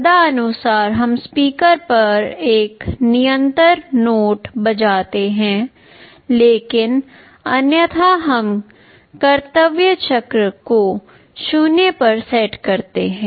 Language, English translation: Hindi, Accordingly we play a continuous note on the speaker, but otherwise we set the duty cycle to 0